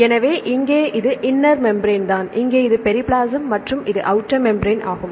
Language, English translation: Tamil, So, here this is the inner membrane right here this is the periplasm and this is the outer membrane